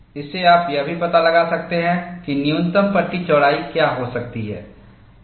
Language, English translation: Hindi, From this, you could also go and find out, what could be the minimum panel width